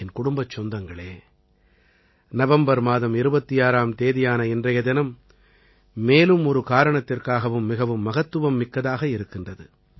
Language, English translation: Tamil, My family members, this day, the 26th of November is extremely significant on one more account